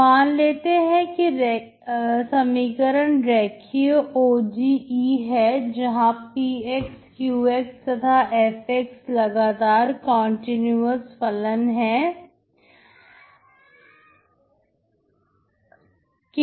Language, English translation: Hindi, So let the equation be linear ODE with p, q and f are continuous functions in I